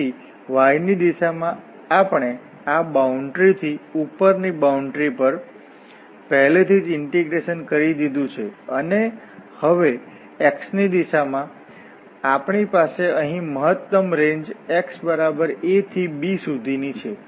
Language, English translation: Gujarati, So in the direction of y we have integrated already from this boundary to the upper boundary and now in the direction of x we have the maximum range here from x a to b